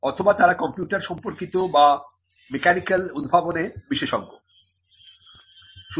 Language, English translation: Bengali, Or they could be specialized in computer related inventions or in mechanical inventions